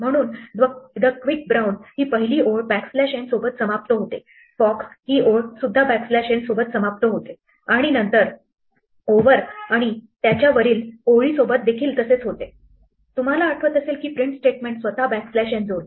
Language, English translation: Marathi, So, the quick brown, the first line end with the backslash n, fox end with backslash n and then over and above that if you remember the print statement adds a backslash n of its own